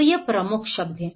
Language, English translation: Hindi, So these are the key words